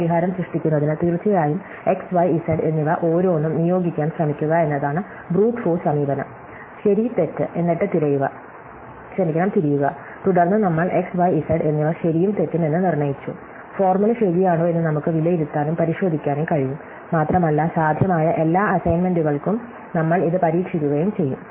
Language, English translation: Malayalam, So, to generate a solution, of course the Brute force approach is to try assigning each of x, y and z; true and false in turn, and then once we assigned x, y and z to be true, false; we can evaluated and check if the formula is true and we try this for every possible such assignment